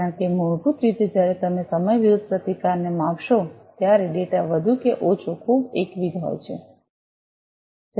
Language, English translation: Gujarati, Because basically when you measure the resistance versus time the data is more or less very monotonous